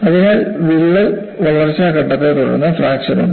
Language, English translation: Malayalam, So, there is a growth phase followed by fracture